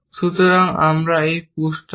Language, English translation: Bengali, So, we push this out